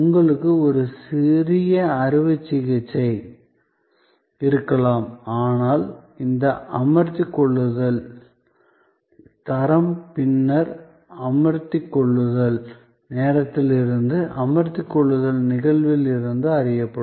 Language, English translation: Tamil, May be you have a minor surgery, but the quality of this engagement will be known later, much later from the time of engagement, from the occasion of engagement